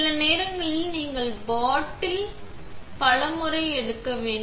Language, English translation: Tamil, Sometimes you may need to take several times in the bottle